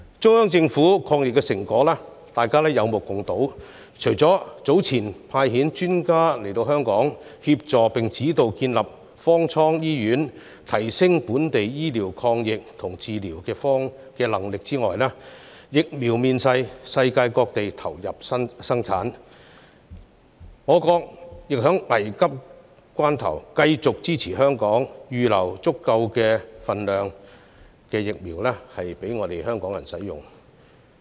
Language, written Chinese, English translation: Cantonese, 中央政府的抗疫成果，大家也有目共睹，除了早前派遣專家到港協助並指導建立方艙醫院，以提升本地抗疫醫療及治療的能力外，現時更有疫苗面世，世界各地也投入生產，國家亦在危急關頭繼續支持香港，預留足夠分量的疫苗予港人使用。, The achievements of the Central Government in the fight against the pandemic are evident to all . In addition to sending experts to Hong Kong earlier on to assist and guide the establishment of the mobile cabin hospital here to enhance local medical and treatment capabilities in the fight against the pandemic vaccines are now available and are being produced worldwide . The State also continues to support Hong Kong in times of crisis by reserving a sufficient amount of vaccine doses for use by Hong Kong people